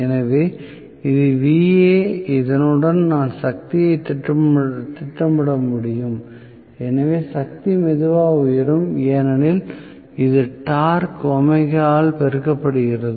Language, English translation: Tamil, So, this is Va along with this I can plot power also so the power will also rise slowly, because it is torque multiplied by omega